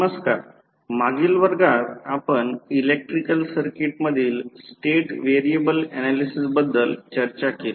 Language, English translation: Marathi, Namaskrar, since last class we discuss about the State variable analysis in the electrical circuits